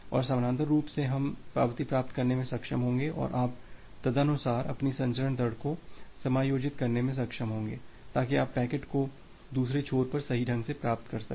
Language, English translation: Hindi, And parallely we will be able to receive the acknowledgement and you will be able to adjust your transmission rate accordingly so that you can receive the packets correctly at the other end